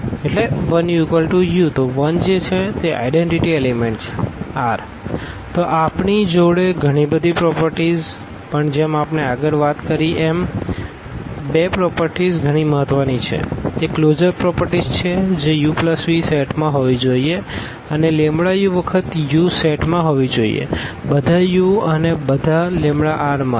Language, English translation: Gujarati, So, we have so many properties, but as I said at the beginning that these two properties are most important here; these are the closure properties that u plus v must be there in the set and lambda times u must be there in the set, for all u and for all lambda from R